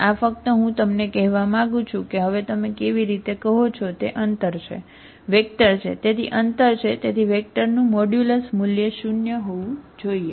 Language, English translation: Gujarati, This is simply I want to tell you that now how you say is the distance, is a vector, so the distance, so the modulus value of the vector should be nonzero